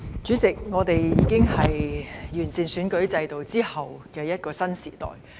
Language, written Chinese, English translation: Cantonese, 主席，我們已在完善選舉制度後的一個新時代。, President we are now in a new era after the improvement of the electoral system